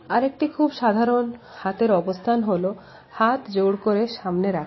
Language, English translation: Bengali, Another commonly held position of hands is that of folded hands